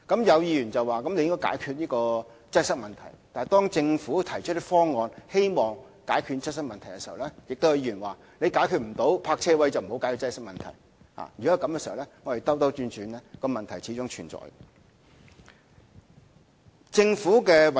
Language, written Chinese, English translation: Cantonese, 有議員表示應該解決擠塞問題，但當政府提出方案以解決擠塞問題時，亦有議員表示解決不了泊車位的問題就不要解決擠塞問題。, Some Members asserted that the Government should resolve traffic congestion . But when the Government puts forth any proposals in a bid to resolve traffic congestion some Members will instead say that the Government should not try to resolve traffic congestion if it cannot resolve the parking space problem